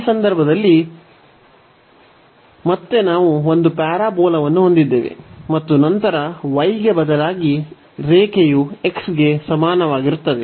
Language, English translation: Kannada, So, in this case again we have one parabola and then the line instead of y is equal to x we have y is equal to x plus 2